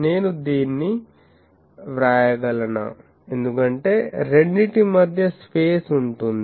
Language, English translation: Telugu, Can I write this, because there will be space, space between the two ok